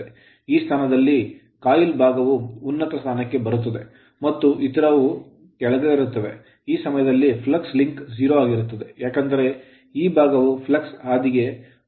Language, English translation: Kannada, So, this position will come top and this position will come to the bottom at that time flux linkage will be 0, because this will be now at that time outside of this right